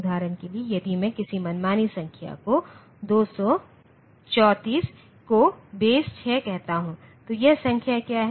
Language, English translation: Hindi, For example, if I take any arbitrary number say 234 to the base 6, what is this number